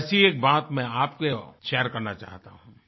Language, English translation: Hindi, But I do wish to share something with you